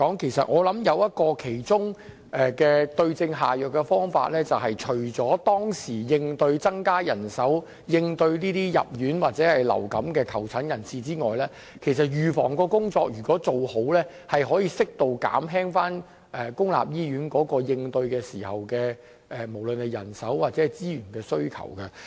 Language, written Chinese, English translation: Cantonese, 老實說，我想其中一個對症下藥的方法，就是除了及時增加人手，以應對這些因流感入院或求診人士外，還要做好預防工作；因為如果預防工作做得好的話，可以在流感高峰期間，適度減輕對於公立醫院人手或資源的需求。, Frankly speaking I think one targeted approach is that on top of increasing manpower in a timely manner to take care of the patients being hospitalized or not suffering from influenza we also need to enhance the prevention measures . Because if the prevention work is properly done the demand for manpower or resources in public hospitals during the epidemic surge of influenza can be properly relieved